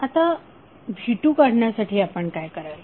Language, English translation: Marathi, Now to obtain V2 what you will do